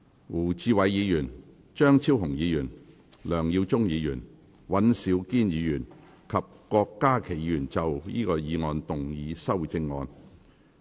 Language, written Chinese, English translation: Cantonese, 胡志偉議員、張超雄議員、梁耀忠議員、尹兆堅議員及郭家麒議員要就議案動議修正案。, Mr WU Chi - wai Dr Fernando CHEUNG Mr LEUNG Yiu - chung Mr Andrew WAN and Dr KWOK Ka - ki wish to move amendments to the motion